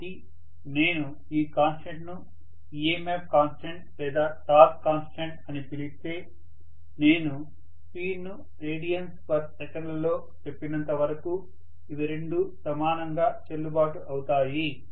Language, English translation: Telugu, So I can call this sometime this constant is specified as EMF constant or torque constant both are equally valid because as long as I tell the speed omega in terms of radians per second